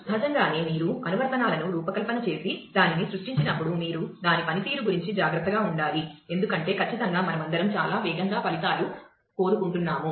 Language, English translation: Telugu, Naturally, as you designed applications and create that, you will have to be careful about it is performance because certainly we all want very fast results